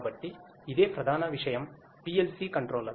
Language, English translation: Telugu, So, this is the main thing the PLC controller